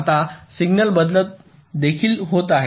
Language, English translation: Marathi, there is also signal changes going on inside